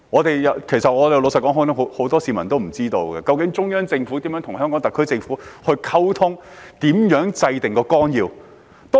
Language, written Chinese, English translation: Cantonese, 老實說，很多市民都不知道中央政府如何與香港特區政府溝通，以及如何制訂綱要。, Frankly speaking many people do not know how the Central Government communicates with the HKSAR Government and how the Outline is formulated